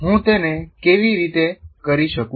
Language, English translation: Gujarati, How do I do it